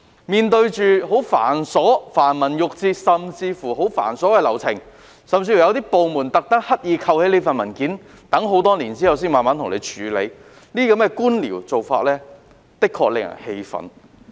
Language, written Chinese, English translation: Cantonese, 面對着繁文縟節及繁瑣的流程，有些部門甚至刻意收起相關文件，待很多年後才慢慢處理，這些官僚做法的確令人氣憤。, Besides red tape and cumbersome procedures some departments even deliberately sat on the files and worked on them only after many years . Such bureaucracy is really frustrating